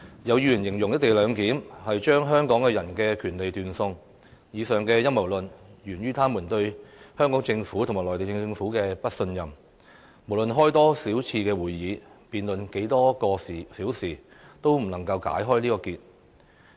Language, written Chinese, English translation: Cantonese, 有議員形容"一地兩檢"是把香港人的權利斷送，這陰謀論源於他們對香港政府和內地政府的不信任，無論召開多少次會議，辯論多少個小時，也無法解開這個結。, Some Members claimed that the co - location arrangement would deprive Hong Kong people of their rights . Such a conspiracy theory is originated from their distrust of the Governments of Hong Kong and the Mainland . No matter how many meetings are held and how many hours the debate lasts such kind of suspicion and distrust cannot be dispelled